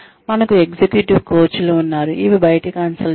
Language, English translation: Telugu, We have executive coaches, which are outside consultants